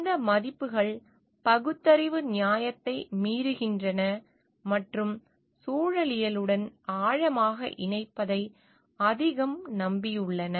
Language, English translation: Tamil, These values defy rational justification and rely more on connecting deeply with ecology